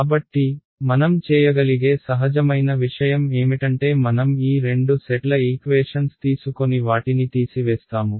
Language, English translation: Telugu, So, the natural thing that I could do is I can take these two sets of equations and subtract them